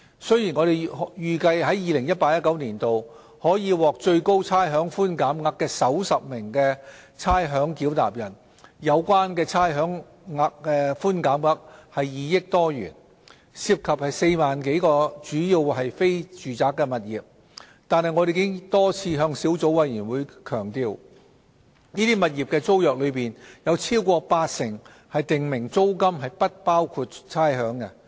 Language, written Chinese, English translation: Cantonese, 雖然我們預計在 2018-2019 年度可獲最高差餉寬減額的首10位差餉繳納人，有關的差餉寬減額為2億多元，涉及4萬多個主要為非住宅的物業，但我們已多次向小組委員會強調，這些物業的租約當中，有超過八成訂明租金是不包含差餉的。, We anticipate that for the top 10 ratepayers who will receive the largest amounts of rates concession in 2018 - 2019 the total rates concession amounts to some 200 million involving some 40 000 properties which are mainly non - residential but we have emphasized time and again to the Subcommittee that over 80 % of the tenancy agreements of such properties are rates exclusive